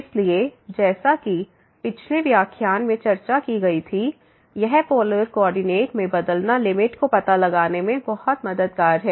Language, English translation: Hindi, So, as discussed in the last lecture, this changing to polar coordinate is very helpful for finding out the limit